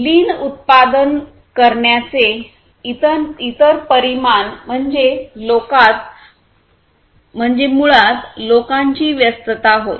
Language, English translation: Marathi, The other the another dimension of a lean production is basically people engagement